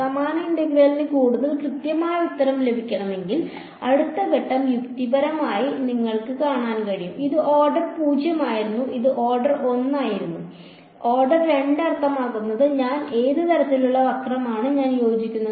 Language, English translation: Malayalam, If you wanted to get a even more accurate answer for the same integral, the next step logically you can see this was order 0, this was order 1; order 2 means I what is a kind of curve that I will fit